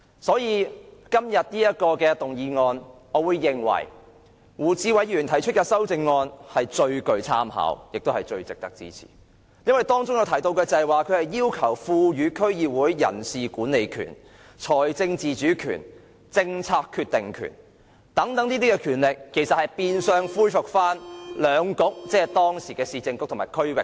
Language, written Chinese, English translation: Cantonese, 所以，就今天的議案而言，我認為胡志偉議員提出的修正案最具參考性，亦最值得支持，因為修正案要求賦予區議會人事管理權、財政自主權及政策決定權，變相恢復兩局的權力。, For that reason insofar as the motion under debate today is concerned I support Mr WU Chi - wais amendment to the motion because he talks about vesting DC members with the power of staff management financial autonomy and making policy decisions . It is de facto restoring the powers of the Municipal Councils